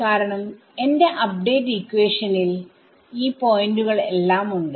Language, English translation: Malayalam, I should do my update because my update equation has all of these points in it